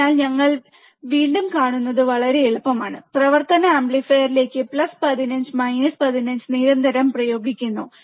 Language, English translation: Malayalam, So, it is very easy again you see here we are constantly applying plus 15 minus 15 to the operational amplifier